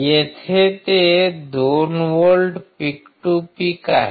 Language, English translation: Marathi, Here it is 2 volts peak to peak right